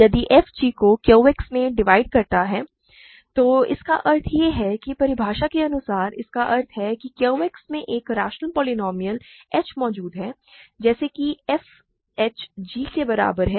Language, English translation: Hindi, If f divides g in Q X remember this means by definition this means there exists a rational polynomial h in Q X such that f h is equal to g, right